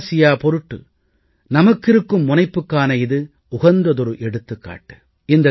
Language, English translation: Tamil, This is an appropriate example of our commitment towards South Asia